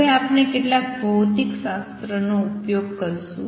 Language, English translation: Gujarati, Now, we are going to use some physics